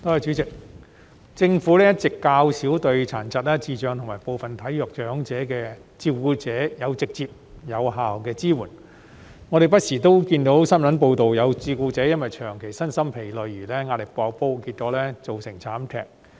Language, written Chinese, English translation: Cantonese, 代理主席，政府一直較少對殘疾、智障及部分體弱長者的照顧者提供直接和有效的支援，我們不時看到新聞報道指有照顧者因為長期身心疲累而壓力"爆煲"，結果造成慘劇。, Deputy President the Government has all along provided relatively little direct and effective support for the carers of persons with disabilities persons with intellectual disabilities and some frail elderly persons . From time to time we see news reports that prolonged physical and mental exhaustion has pushed carers to breaking point resulting in tragedies